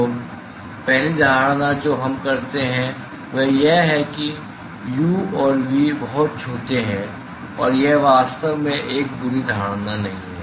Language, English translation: Hindi, So, the first assumption we make is that the u and v are very small and that is not a bad assumption actually